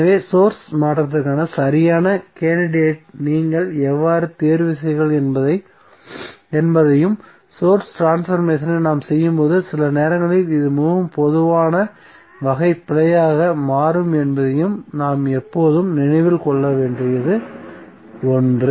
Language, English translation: Tamil, So, that something which we have to always keep in mind that how you choose the correct candidate for source transformation and sometimes this becomes a very common type of error when we do the source transformation